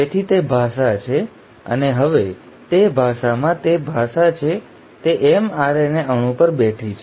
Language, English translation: Gujarati, So that is the language, and now that language is there in that language is sitting on the mRNA molecule